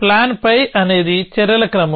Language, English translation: Telugu, A plan pie is a sequence of actions